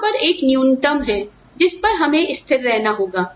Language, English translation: Hindi, There is a bare minimum, that we have to adhere to